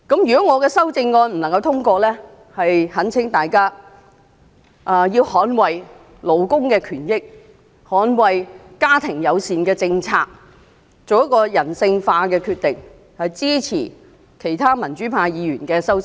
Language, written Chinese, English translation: Cantonese, 如果我的修正案不獲通過，那懇請大家捍衞勞工權益，捍衞家庭友善政策，作出人性化的決定，支持其他民主派議員的修正案。, If it fails to get passed I implore all of you to make a humanized decision and support the amendments of other pro - democracy Members so as to defend labour rights and interests and family - friendly policies